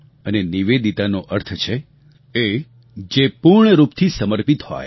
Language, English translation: Gujarati, And Nivedita means the one who is fully dedicated